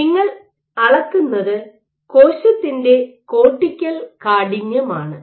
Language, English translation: Malayalam, So, what you are measuring is the cortical stiffness of your cell